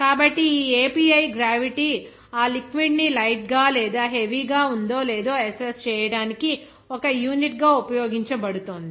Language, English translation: Telugu, So, this API gravity is being used as a unit to assess that liquid whether it is heavier or lighter